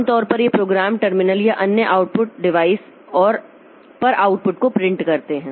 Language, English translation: Hindi, Typically, these programs format and print the output to the terminal or other output devices